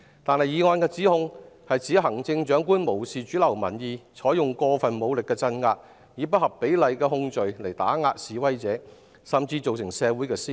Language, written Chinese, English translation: Cantonese, 但議案的指控是說行政長官無視主流民意，鎮壓示威並採用過分武力，以不合比例的控罪打壓示威者，甚至造成社會撕裂。, But the motion alleges that the Chief Executive disregarded mainstream opposing views and unrelentingly pushing through a highly controversial bill used excessive force to crack down on peaceful assembly intimidated protesters with disproportionate criminal charges and even caused a rift in society